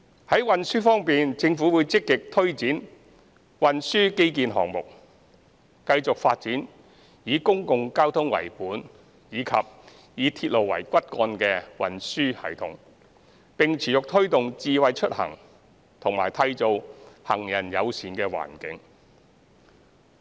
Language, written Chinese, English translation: Cantonese, 在運輸方面，政府會積極推展運輸基建項目，繼續發展以公共交通為本及以鐵路為骨幹的運輸系統，並持續推動"智慧出行"及締造行人友善環境。, On the transport front the Government will actively take forward transport infrastructure projects and continue to develop a transportation system centred on public transport with railway as the backbone while making ongoing efforts to promote Smart Mobility and create a pedestrian - friendly environment